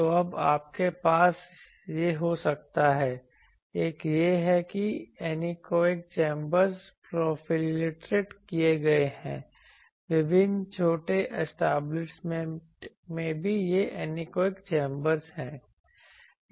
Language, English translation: Hindi, So, you can have this now one is these anechoic chambers are proliferated various small establishments also have this anechoic chambers